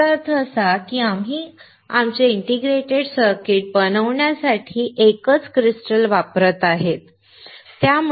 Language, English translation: Marathi, It means that we are using a single crystal to fabricate our integrated circuit